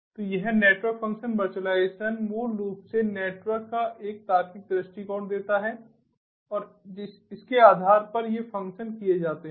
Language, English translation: Hindi, so this network function virtualization basically gives a logical view of the network and based on that these functions are performed